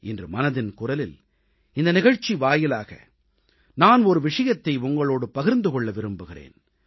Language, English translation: Tamil, Today, in this episode of Mann Ki Baat, I want to share one such thing with you